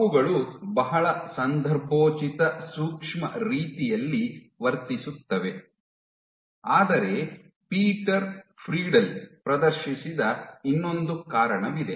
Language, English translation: Kannada, They act in a very context sensitive manner, but there is one more reason which was demonstrated by Peter Friedl